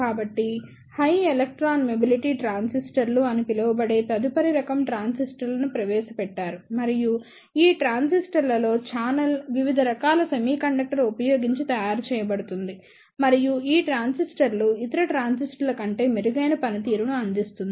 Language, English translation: Telugu, So, the next type of transistors were introduced that are known as high electron mobility transistors and in these transistors the channel is made using different type of semiconductor and these transistors provides the better performance over the other transistors